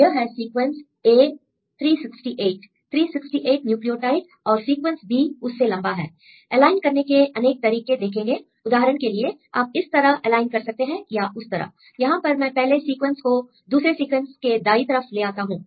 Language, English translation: Hindi, For example if you see a sequence a, this is a sequence a 3 6 8; 3 6 8 nucleotides and the sequence b is a longer one; now different ways to align, for example, if you align this way or this way; here I put together everything on the right side second one; I give gaps in between here is some gap and here is a gap